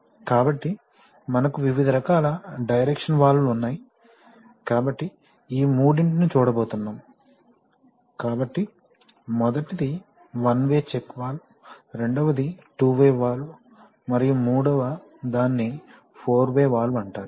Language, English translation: Telugu, So, we have various kinds of directional valves, we are going to look at these three, so the first one is a one way check valve, the second one is the two way valve, and the third one is called a four way valve